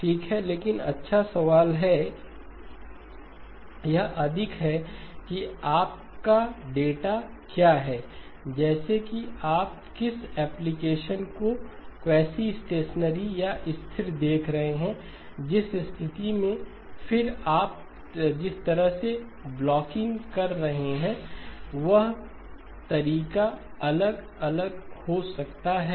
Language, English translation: Hindi, Okay but good question, it is more of what is your data like, what is the application are you looking at quasi stationary or stationary, in which case then the approach or the way you do the blocking may vary